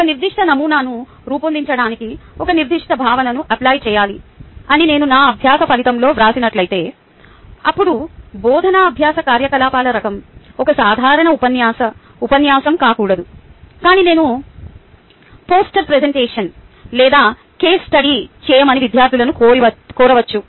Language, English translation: Telugu, if i have written in my learning outcome as apply a particular concept to design a particular model, then the type of teaching learning activity should not be a typical dielectric lecture, but something where i have asked students to do a poster presentation or a case study